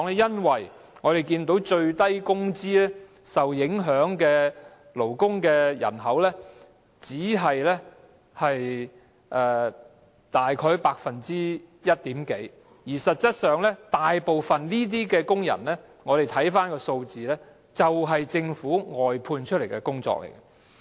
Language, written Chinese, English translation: Cantonese, 因為我們看到，領取最低工資的勞工人口只佔大約一點多個百分點，而實際上，如果我們看看數字，便會知道這些工人大部分從事政府外判的工作。, Because as we can see the percentage of workers paid at the minimum wage rate is only about one point something and in fact if we look at the figures we will know that these workers are mostly engaged in work outsourced by the Government